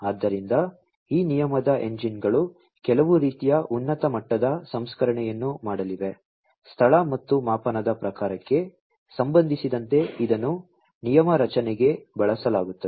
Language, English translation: Kannada, So, these rule engines are going to do some kind of high level processing, with respect to the location and the measurement type, that is used for rule formation